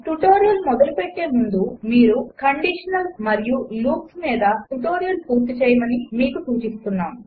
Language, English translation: Telugu, Before beginning this tutorial,we would suggest you to complete the tutorial on Conditionals and Loops